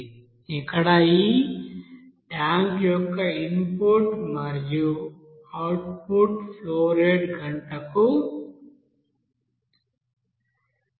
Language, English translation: Telugu, So here the input and output flow rate of this tank is 40,000 liter per hour